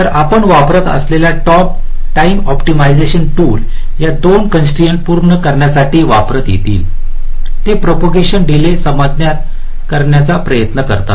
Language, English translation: Marathi, so the timing optimization tools that we use, they try to adjust the propagation delays to satisfy these two constraints